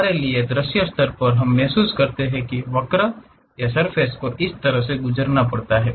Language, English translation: Hindi, For us at visual level we feel like the curve or the surface has to pass in that way